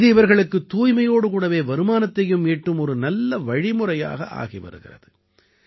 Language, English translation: Tamil, This is becoming a good source of income for them along with ensuring cleanliness